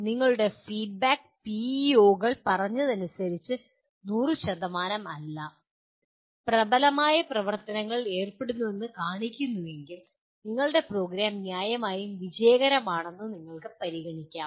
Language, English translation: Malayalam, And if your feedback shows that they are dominantly, not 100%, dominantly are involved in activities as stated by PEOs then you can consider your program to be reasonably successful